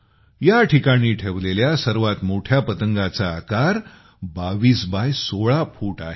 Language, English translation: Marathi, Let me give you a clue, the biggest kite displayed here is 22 by 16 feet in size